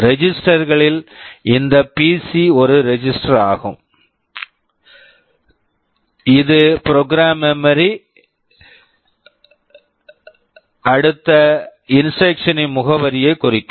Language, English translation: Tamil, Among the registers this PC is one register which will be pointing to the address of the next instruction in the program memory